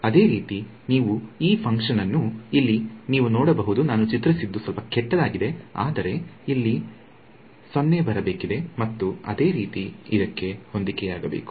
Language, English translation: Kannada, Similarly you can see this function is one over here my drawing is little bad, but this 0 supposed to come over here and similarly for this should match